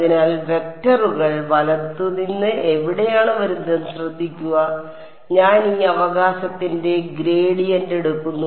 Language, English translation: Malayalam, So, notice where the vectors are coming in from right I am taking a gradient of this right